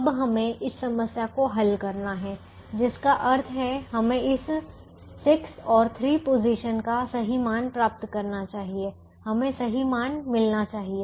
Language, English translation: Hindi, now we have to solve this problem, which means we should get the correct values of this six and three positions